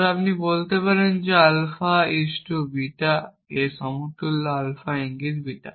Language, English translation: Bengali, say something like alpha is to beta is equivalent to alpha implies beta and beta implies